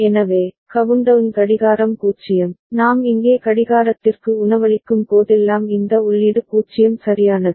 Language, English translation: Tamil, So, countdown clock is 0, this input is 0 right whenever we are feeding clock here right